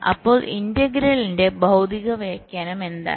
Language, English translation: Malayalam, so so what is the physical interpretation of the integral